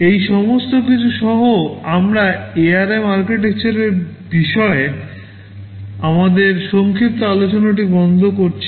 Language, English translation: Bengali, With all this, we stop our brief discussion on the ARM architectures